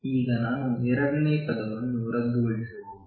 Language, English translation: Kannada, Now, I can cancel the second term